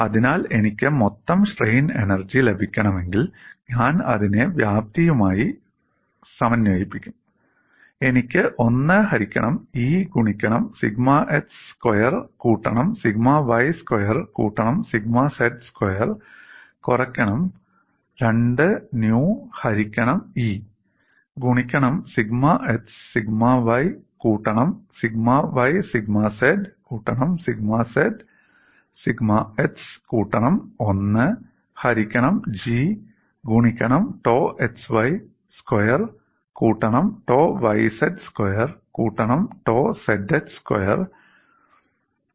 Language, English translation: Malayalam, So, if I want to get the total strain energy, I would integrate over the volume and within it, I have the terms like 1 by E sigma x squared plus sigma y squared plus sigma z squared minus 2 nu by E into sigma x sigma y sigma y sigma z plus sigma z sigma x plus 1 by G tau x y whole squared plus tau y z whole squared plus tau z x whole squared